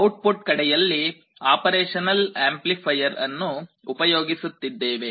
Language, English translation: Kannada, On the output side, we are using an operational amplifier